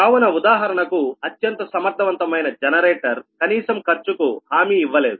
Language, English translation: Telugu, so most a, for example, most efficient generator system does not guarantee the minimum cost